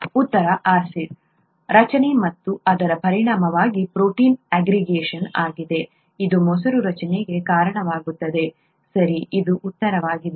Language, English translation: Kannada, The answer is acid formation and consequent protein aggregation, is what causes curd formation, okay, this is the answer